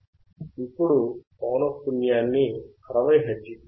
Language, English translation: Telugu, Now, let us increase the frequency to 60 hertz